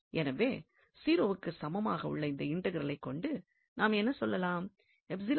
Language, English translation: Tamil, So, definitely then this integral will be also 0